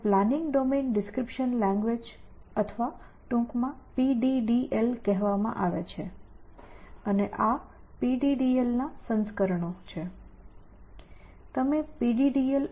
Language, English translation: Gujarati, So, these are called planning domain, description language or in short PDDL and there are versions of PDDL